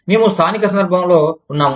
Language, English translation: Telugu, We are situated, in a local context